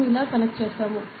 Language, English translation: Telugu, So, we have connected like this